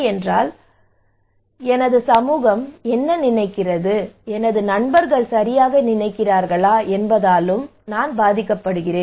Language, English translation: Tamil, But this is also influenced by what other people think my society thinks, my friends thinks right